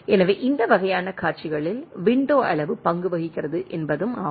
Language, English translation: Tamil, So, it is also that window size plays role in this sort of scenarios